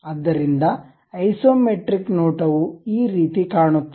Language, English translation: Kannada, So, this is the way isometric view really looks like